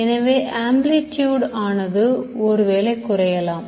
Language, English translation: Tamil, So maybe the amplitude decreases